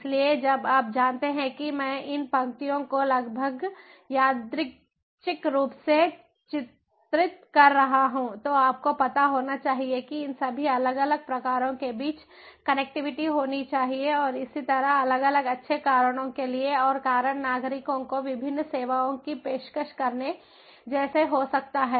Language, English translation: Hindi, so, for you know, although i am drawing these lines ah, almost like randomly, but there has to be ah, you know, ah, there has to be connectivity between all these different types, different blocks and so on, ah, for different good reasons, and the reason could be like offering different services ah to citizens